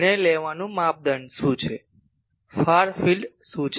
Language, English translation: Gujarati, What is the criteria for deciding, what is the far field